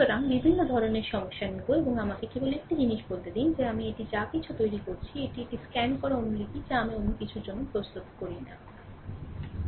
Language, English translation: Bengali, So, we will take different type of problems, and just let me tell you one thing that this ah this whatever whatever I am making it, it is a scanned copy ah that notes which I prepare for something, right